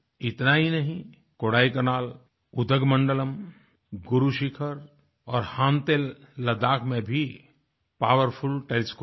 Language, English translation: Hindi, Not just that, in Kodaikkaanal, Udagamandala, Guru Shikhar and Hanle Ladakh as well, powerful telescopes are located